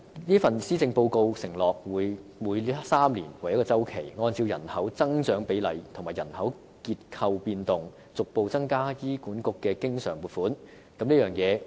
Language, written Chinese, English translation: Cantonese, 這份施政報告承諾每3年為一周期，按照人口增長比例和人口結構變動，逐步遞增給醫管局的經常撥款。, This Policy Address has undertaken to increase the recurrent funding for HA progressively on a triennium basis having regard to population growth rates and demographic changes